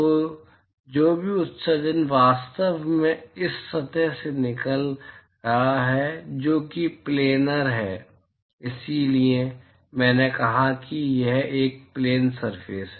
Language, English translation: Hindi, So, whatever emission which is actually coming out of this surface which is planar, so I said it is a planar surface